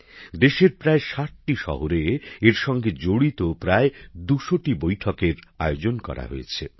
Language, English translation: Bengali, About 200 meetings related to this were organized in 60 cities across the country